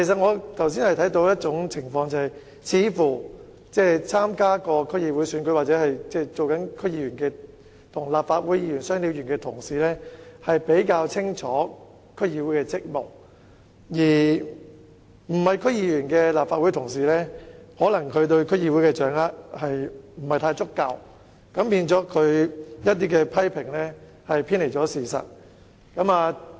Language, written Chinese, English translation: Cantonese, 我剛才看到一種情況，曾經參加區議會選舉或身兼區議員的"雙料"議員會似乎較清楚區議會的職務，而非區議員的立法會議員可能對區議會的工作掌握得不太足夠，以致他們的一些批評偏離事實。, Just now I noted that Members who have run in District Council DC elections or double as DC members appeared to have a clearer understanding of the duties of DCs whereas Legislative Council Members who are not DC members might be unable to fully grasp the work of DCs and as a result some of their criticisms were way off the truth